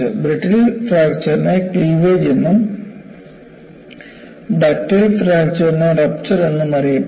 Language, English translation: Malayalam, Brittle fracture is known as cleavage, ductile fracture is also known as rupture